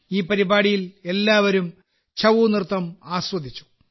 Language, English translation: Malayalam, Everyone enjoyed the 'Chhau' dance in this program